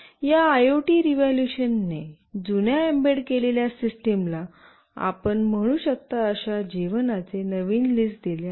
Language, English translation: Marathi, This IoT revolution has given the old embedded systems a new lease of life you can say